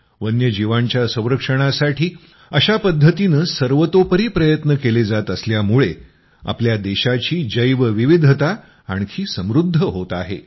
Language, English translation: Marathi, With every such effort towards conservation of wildlife, the biodiversity of our country is becoming richer